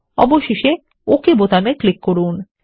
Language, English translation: Bengali, Finally click on the OK button